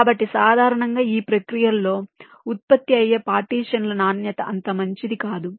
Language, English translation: Telugu, so usually the quality of the partitions that are generated in this process is not so good